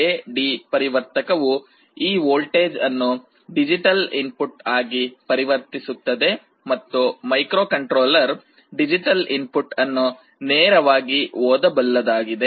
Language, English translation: Kannada, And an A/D converter will convert this voltage into a digital input and this microcontroller can read the digital input directly